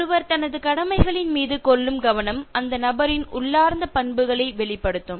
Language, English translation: Tamil, The way one takes care of his or her commitments will reveal the person’s innermost values